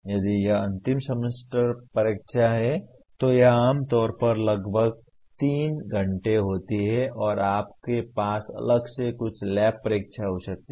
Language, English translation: Hindi, If it is end semester exam, it is generally about 3 hours and you may have some lab exam separately